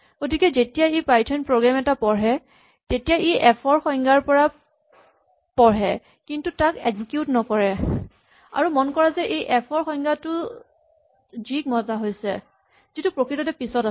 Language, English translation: Assamese, So, when the Python program is read it reads the definition of f, but does not execute it, and notice that this definition of f has an invocation to g which is actually later